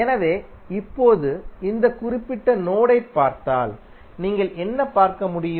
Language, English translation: Tamil, So, now if you see this particular node, what you can see